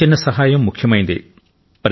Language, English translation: Telugu, Even the smallest help matters